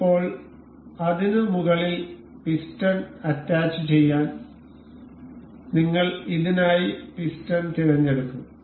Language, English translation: Malayalam, Now, to attach the piston over it, we will select the piston for this